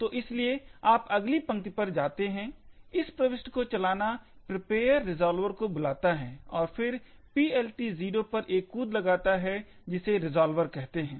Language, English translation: Hindi, So, therefore you jump to the next line, run this insertion call prepare resolver and then make a jump to PLT 0 which calls the resolver